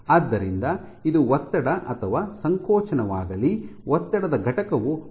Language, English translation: Kannada, So, whether it be tension or compression your unit of stress is in Pascals